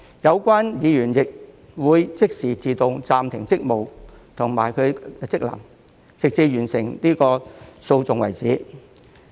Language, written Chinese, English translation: Cantonese, 有關議員會即時自動暫停職務和職能，直至完成訴訟為止。, The duties and functions of the Membermember will be suspended automatically at once until the proceedings come to an end